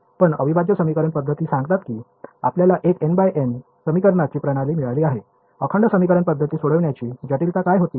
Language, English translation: Marathi, So, integral equation methods say you got a n by n system of equations, what was the complexity of solving integral equation methods